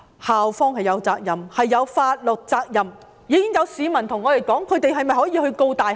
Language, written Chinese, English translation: Cantonese, 校方是有法律責任的，已經有市民問我們是否可以控告大學。, The universities have legal responsibility . Some members of the public have even asked me whether they can sue the universities